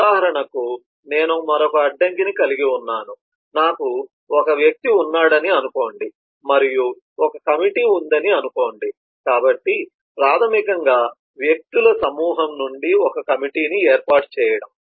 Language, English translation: Telugu, say, let us say i have a person and let us i say have a committee, so basically forming a committee from a group of persons